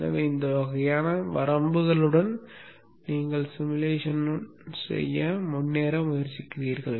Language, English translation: Tamil, So with this kind of a limitation you try to go ahead with the simulation